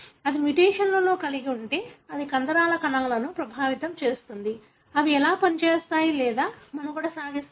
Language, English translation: Telugu, If it has got a mutation, then it affects the muscle cells; how do they function or survive